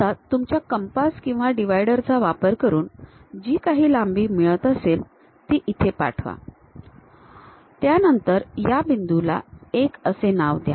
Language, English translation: Marathi, So, use your compass or divider whatever that length transfer that length to here, then call that point as 1